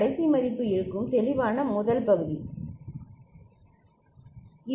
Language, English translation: Tamil, The last value will be there, clear, first part right